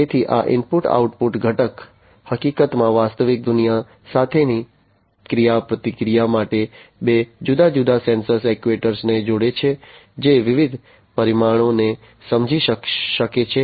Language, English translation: Gujarati, So, this input output component in fact, for the interaction with the real world connects two different sensors, actuators, and which can sense different parameters